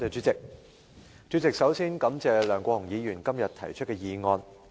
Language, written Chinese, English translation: Cantonese, 主席，首先感謝梁國雄議員今天提出的議案。, President first of all I thank Mr LEUNG Kwok - hung for this motion proposed by him today